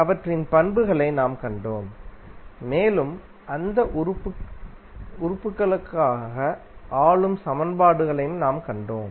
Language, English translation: Tamil, We saw their properties and we also saw the governing equations for those elements